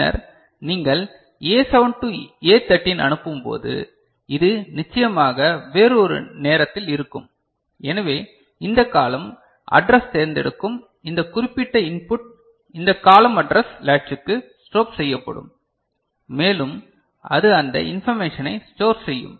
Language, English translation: Tamil, And then when you are sending A7 to A 3, so this one will be at a different point of time of course so, this column address select this particular input to this column address latch that will be strobed and it will store that information